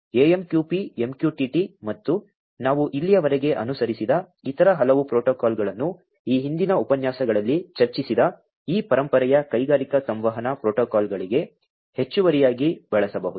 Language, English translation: Kannada, Protocols such as AMQP, MQTT, and many others that we have gone through so far could all be used in addition to these legacy industrial communication protocols, that we have discussed in the previous lectures